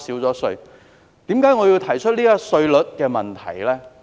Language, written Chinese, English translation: Cantonese, 為甚麼我要提出稅率的問題？, Why have I raised the issue of tax rate?